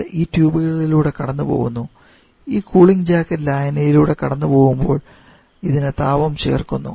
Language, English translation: Malayalam, It is passing through this tubes and as it this heating jacket is passing through the solution